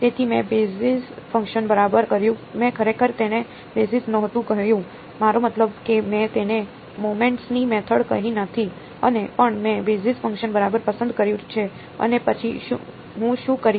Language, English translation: Gujarati, So, I did the basis function right, I did not really call it basis, I mean I did not call it method of moments and, but I chose a basis function right and then what would I do